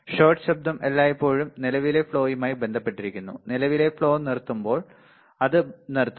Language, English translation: Malayalam, Shot noise always associated with current flow and it stops when the current flow stops